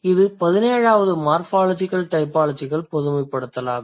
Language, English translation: Tamil, That is about the 16th generalization related to morphological typology